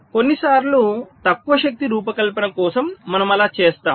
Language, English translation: Telugu, sometimes where low power design, we do that ok